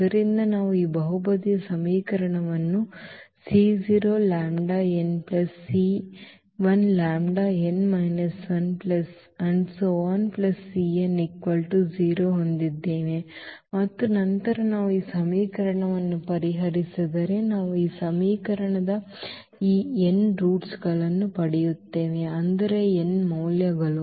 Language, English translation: Kannada, So, we have this polynomial equation and then if we solve this equation we will get at most these n roots of this equation; that means, the n values of the lambdas